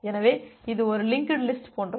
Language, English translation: Tamil, So, it just like a linked list